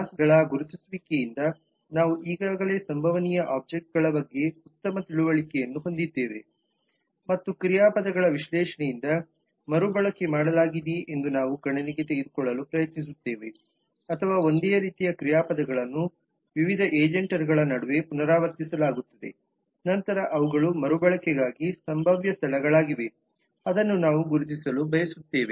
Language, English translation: Kannada, we already have made a good understanding of the possible objects by the identification of classes and we will try to take into account from the analysis of verbs as to whether there is reusability that is if the same action or very similar verbs are repeated amongst various different agents then those are potential places for reusability which we would like to identify